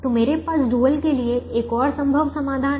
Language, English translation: Hindi, so i have another feasible solution to the dual